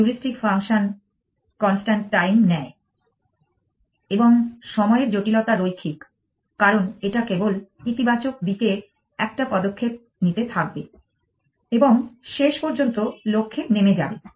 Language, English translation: Bengali, The heuristic function have takes constant time and the time complexity is linear because it will just keep taking one step in positive direction and eventually come to a stop at the goal